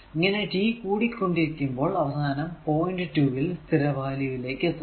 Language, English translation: Malayalam, So, when t is increasing finally, it will reach to the steady state the 2 right